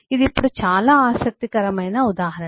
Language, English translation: Telugu, this is eh a very interesting illustration